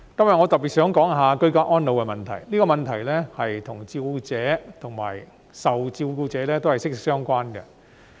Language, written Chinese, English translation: Cantonese, 我今天想特別談談居家安老的問題，這個問題與照顧者及受照顧者息息相關。, Today I wish to talk specifically about the issue of ageing in place which concerns carers and care recipients